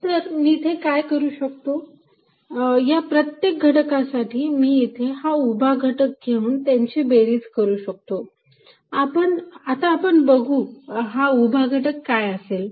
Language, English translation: Marathi, So, what I can do is, for each element I can take the vertical component add it up, let us see what the vertical component is going to be